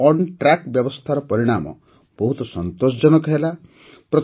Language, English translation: Odia, The results of the TruckonTrack facility have been very satisfactory